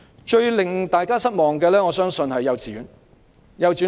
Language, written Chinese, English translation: Cantonese, 最令大家失望的，我相信是沒有提及幼稚園。, The biggest disappointment I believe is that kindergartens are not mentioned in the Policy Address